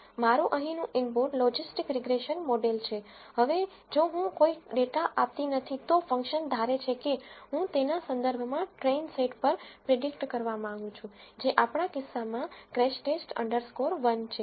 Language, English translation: Gujarati, My input here is the logistic regression model, now if I do not give any data then the function assumes that I want to predict it on the train set which is crashTest underscore 1 in our case